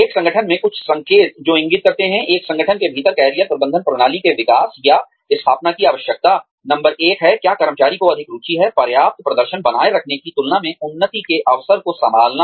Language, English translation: Hindi, Some signs in an organization, that indicate, the need for the development, or establishment of a Career Management System, within an organization are, number one, is the employee more interested in, capitalizing on opportunities for advancement, than in maintaining adequate performance